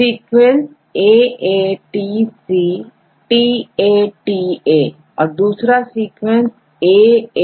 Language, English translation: Hindi, So, the same sequence I give AATCTATA, this is second one AAGATA